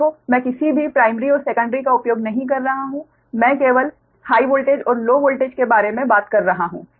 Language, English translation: Hindi, look, i am not using any primary or secondary, i am only talking about the high voltage and low voltage right